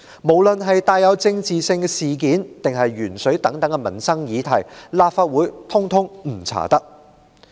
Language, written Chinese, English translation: Cantonese, 無論是帶有政治性的事件，還是鉛水等民生議題，立法會一概不能調查。, Those incidents from politically - charged ones to those concerning such livelihood issues as lead - tainted water were all off - limits to inquiry by the Council